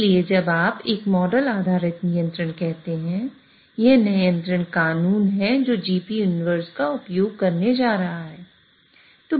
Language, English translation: Hindi, So that is why when you say a model based control, it's the control law which is going to use GP inverse